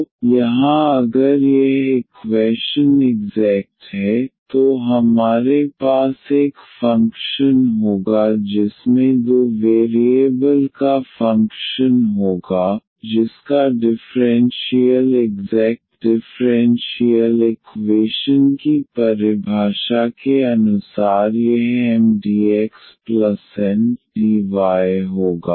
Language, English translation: Hindi, So, here if this equation is exact then we will have a function f a function of two variable whose differential will be this Mdx plus Ndy as per the definition of the exact differential equations